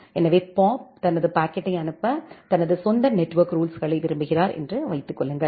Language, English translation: Tamil, So, assume that Bob wants his own set of network rules to forward his packet